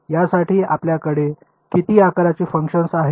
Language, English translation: Marathi, How many shape functions you have for this